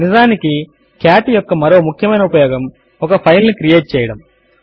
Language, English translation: Telugu, Infact the other main use of cat is to create a file